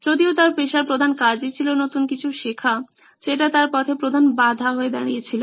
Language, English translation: Bengali, Given that his profession is to learn new stuff, this was a big obstacle for him